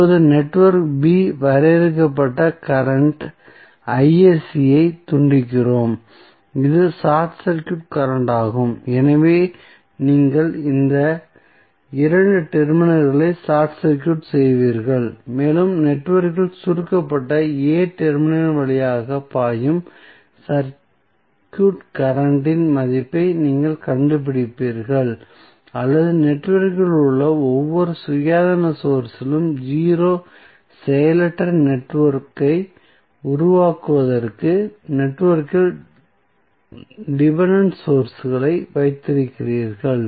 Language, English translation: Tamil, Now, we disconnect the network B defined current Isc that is the short circuit current so you will short circuit these 2 terminals right and you find out the value of circuit current flowing through the shorted terminal of network A turnoff or 0 out the every independent source in the network to form an inactive network while keeping the dependent sources in the network